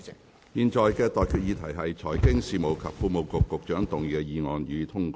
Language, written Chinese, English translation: Cantonese, 我現在向各位提出的待決議題是：財經事務及庫務局局長動議的議案，予以通過。, I now put the question to you and that is That the motion moved by the Secretary for Financial Services and the Treasury be passed